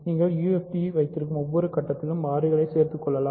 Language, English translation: Tamil, So, you can keep adding variables at each stage you have a UFD